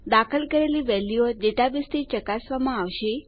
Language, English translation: Gujarati, The entered values will be checked against a database